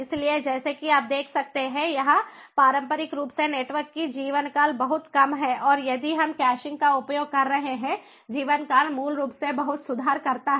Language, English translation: Hindi, so, as you can see over here, conventionally the network lifetime is much more reduced and if we are using caching the lifetime basically improves a lot